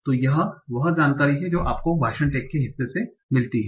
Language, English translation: Hindi, So this is the information that you get by the part of speech tax